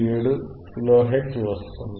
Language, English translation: Telugu, 477 kilo hertz